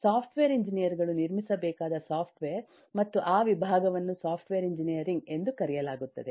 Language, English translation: Kannada, software engineers are supposed to build software and that discipline is known as software engineering